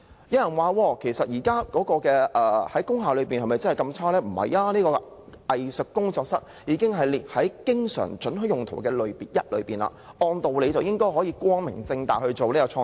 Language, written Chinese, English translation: Cantonese, 有人質疑，工廈的情況不是那麼差，因為"藝術工作室"已列為"經常准許的用途"之一，按道理應該可以光明正大從事創作。, Some people say that the situation of industrial buildings is not so bad because Art Studio has been listed as an always permitted use in industrial buildings and people should be able to openly pursue creative work